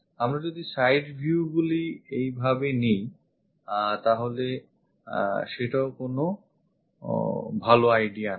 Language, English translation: Bengali, The side views if we are picking it in that way this is not a good idea